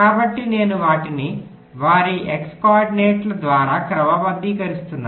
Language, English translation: Telugu, so i am writing them sorted by their x coordinates